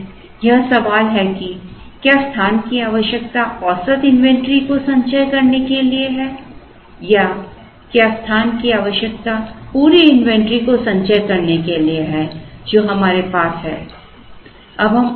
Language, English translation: Hindi, So, there is this question whether, the space requirement is for storing the average inventory or whether the space requirement is for storing the entire inventory that we have